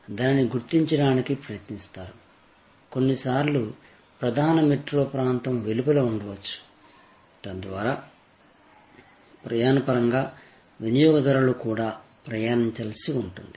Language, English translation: Telugu, You will try to locate it, sometimes may be outside the main metro area, so that in terms of travelling, consumers may have to travel too